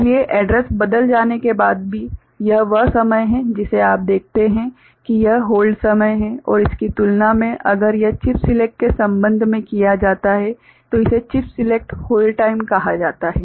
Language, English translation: Hindi, So, even after the address is changed so, this is the time that you see this is the hold time and in comparison if it is done with respect to chip select then it is called chip select hold time